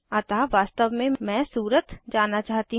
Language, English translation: Hindi, So actually i want to go to Surat